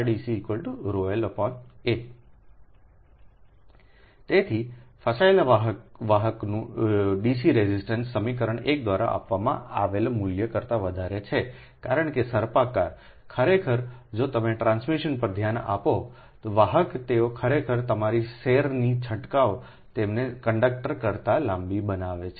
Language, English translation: Gujarati, so the dc resistance of a standard conductor is greater than the value given by equation one because spiralling of the actually a actually if you look at the, if you look at that, the transmission conductors, they are actually your spiralling of the strands make them longer than the conductor itself